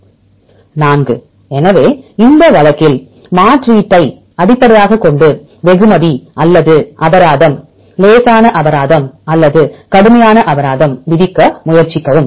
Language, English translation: Tamil, So, in this case based on a substitution try to either reward or the penalty either mild penalty or severe penalty